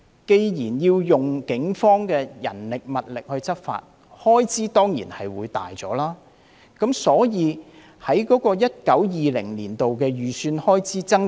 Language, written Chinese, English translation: Cantonese, 既然要動用警方的人力物力執法，開支當然會增加，所以 2019-2020 年度的預算開支才會增加。, Since Police manpower and resources are needed to enforce the law their expenditure will surely raise thus the budget increase in 2019 - 2020